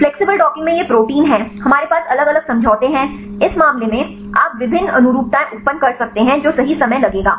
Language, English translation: Hindi, In the flexible docking it is proteins we have different conformations right in this case you can generate various conformations right which will take time